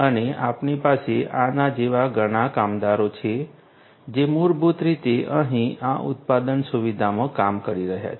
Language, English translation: Gujarati, And we have many such workers like this who are basically doing the work over here in this manufacturing facility